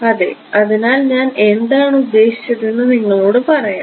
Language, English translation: Malayalam, So, I will tell you what I mean